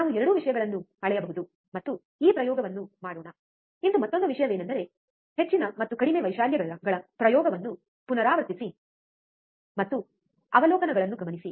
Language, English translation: Kannada, We can measure both the things, and let us do this experiment, today another thing is repeat the experiment for higher and lower amplitudes and note down the observations